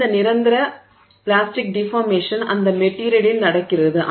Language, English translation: Tamil, Permanent plastic deformation that is happening